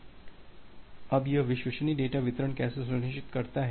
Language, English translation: Hindi, Now, how it ensures the reliable data delivery